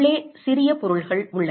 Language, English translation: Tamil, You have small objects inside